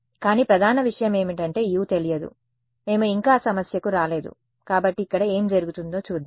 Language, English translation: Telugu, But the main thing is that U is not known, we have not yet come to that problem; so, let us see what happens here